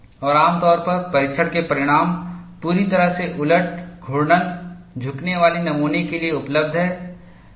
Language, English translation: Hindi, And usually, the test results are available for fully reversed rotating bending specimen